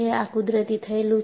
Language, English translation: Gujarati, So, this is what is natural